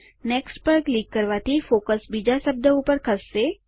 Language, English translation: Gujarati, Clicking on Next will move the focus to the next instance of the word